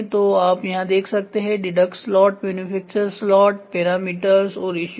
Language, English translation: Hindi, So, you can see here deduct slot manufacture slot parameters and issues